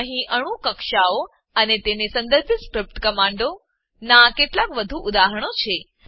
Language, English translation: Gujarati, Here are few more examples of atomic orbitals and the corresponding script commands